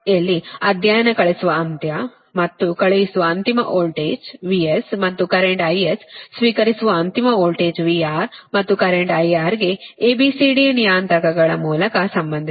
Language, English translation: Kannada, you know right, wherein study, sending end and the sending end, voltage v, s and the current i s can be related to the receiving end voltage v, r and the current i r, right through a, b, c, d parameters, right